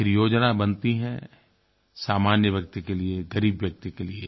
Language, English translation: Hindi, After all, these schemes are meant for common man, the poor people